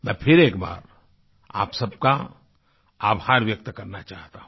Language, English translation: Hindi, I again want to express my gratitude to you all